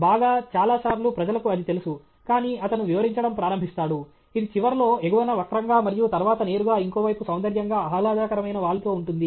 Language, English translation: Telugu, Well many times people do that know; then he starts explaining – it curves with a higher bit at the end and a rather aesthetically pleasing slope towards a pretty flat straight bit